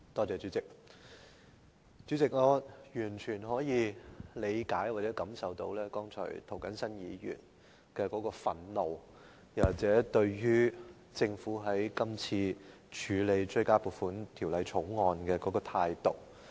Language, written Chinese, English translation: Cantonese, 主席，我完全可以理解及感受涂謹申議員剛才的憤怒，這也源於政府今次處理《追加撥款條例草案》的態度。, President I fully appreciate and feel Mr James TOs anger expressed just now . This anger is provoked by the Governments attitude in handling the Supplementary Appropriation 2016 - 2017 Bill the Bill